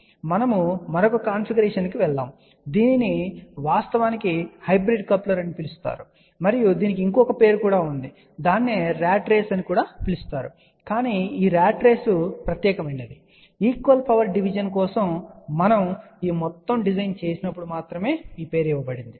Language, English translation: Telugu, Now, we will go to the another configuration, this is actually known as a hybrid coupler and there is a another name given, which is known as a rat race ok, but this ratrace is the special name only given when we designed this whole thing for equal power division